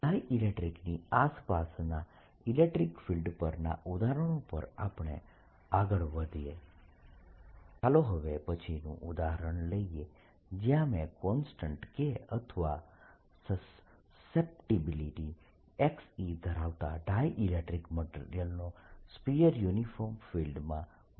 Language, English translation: Gujarati, continuing the examples on electric fields around dielectrics, let's take next example where i put a sphere of dielectric material of constant k or susceptibility chi, e in a uniform field and now i ask what will happen